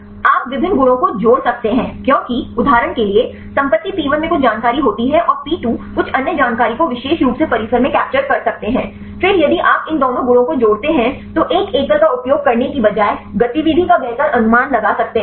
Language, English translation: Hindi, You can combine different properties because for example, property P1 have some information and P2 can capture some other information in particular compound; then if you add up these two properties then can better predict the activity rather than using a single one